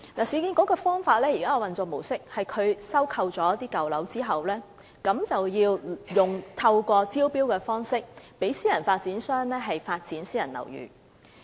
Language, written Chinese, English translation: Cantonese, 市建局現時的運作模式，是在收購舊樓後，透過招標讓私人發展商發展私人樓宇。, Under the existing operational mode URA will conduct tender exercises after acquiring old buildings and entrust private developers to develop private housing afterwards